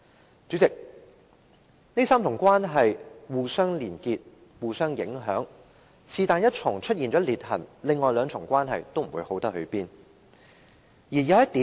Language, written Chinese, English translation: Cantonese, 代理主席，這3重關係互相連結及影響，任何一重關係出現了裂痕，另外兩重關係都不會好。, Deputy President these three parts of the relationship connect with and affect one another . If a split appears in any part of the relationship the other two will not be fine